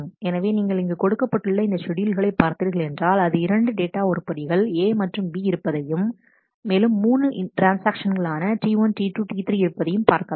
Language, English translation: Tamil, So, if you see this is the schedule given there are 2 data items A and B and there are 3 transactions T 1 T 2 T 3